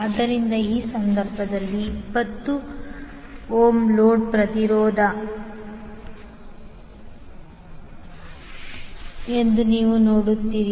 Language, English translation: Kannada, So, in this case, you will see that the 20 ohm is the load impedance